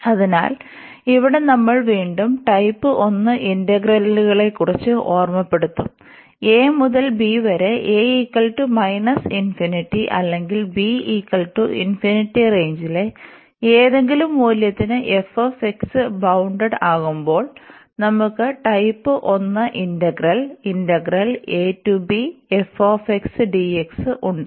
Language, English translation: Malayalam, So, here we have we will be talking about type 1 integrals again to recall, we have this type 1 integral when our f x is bounded for any value of in this range a to b, and one of the is a and a and b are infinity